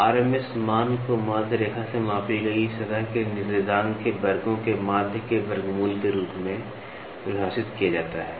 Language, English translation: Hindi, The RMS value is defined as the square root of means of squares of the ordinates of the surface measured from a mean line